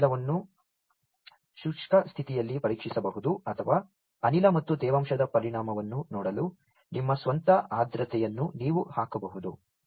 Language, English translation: Kannada, So, either you can test this gas in dry condition or, you can put your own humidity to see the effect of gas plus humidity